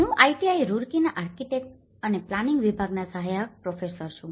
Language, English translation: Gujarati, I am an assistant professor from Department of Architecture and Planning, IIT Roorkee